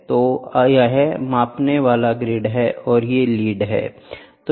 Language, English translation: Hindi, So, this is the measuring grid and these are the leads